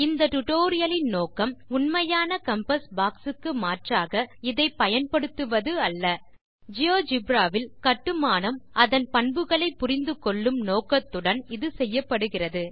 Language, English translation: Tamil, Please note that the intention of this tutorial is not to replace the actual compass box Construction in GeoGebra is done with a view to understand the properties